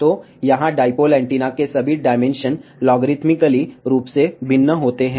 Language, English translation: Hindi, So, here all the dimensions of the dipole antenna vary logarithmically